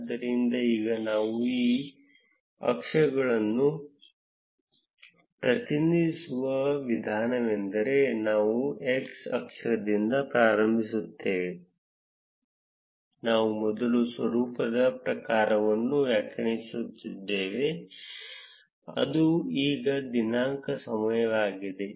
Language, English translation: Kannada, So, now the way we would represent these axes is we start with x axis we first defined the type of the format which is now date time